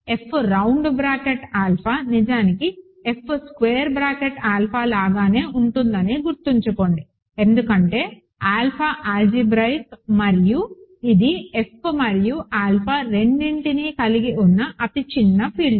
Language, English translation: Telugu, Remember F round bracket alpha is actually same as F square bracket alpha because alpha is algebraic and it is the smallest field that contains both F and alpha